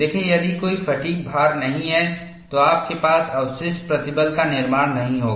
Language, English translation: Hindi, See, if there is no fatigue loading, you will not have a residual stress formation